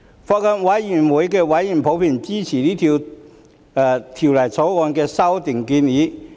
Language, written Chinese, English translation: Cantonese, 法案委員會委員普遍支持《條例草案》的修訂建議。, Members of the Bills Committee in general support the proposed amendments in the Bill